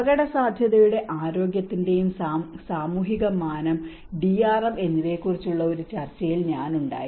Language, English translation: Malayalam, And I was in one of the discussion where the social dimension of risk and health and DRM